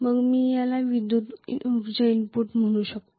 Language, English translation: Marathi, Then I may call this as the electrical energy input